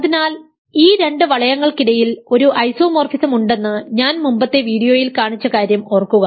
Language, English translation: Malayalam, So, recall I have showed in an earlier video that there is an isomorphism between these two rings ok